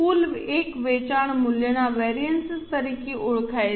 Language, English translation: Gujarati, The total one is known as sales value variance